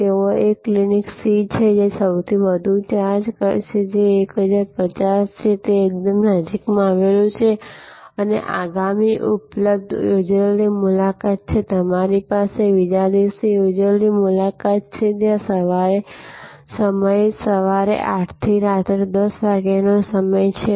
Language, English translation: Gujarati, And there is a Clinic C, which charges the highest which is 1050 and it is just located quite close by and the next available appointment is, you have an appointment just the next day and there hours are 8 am to 10 pm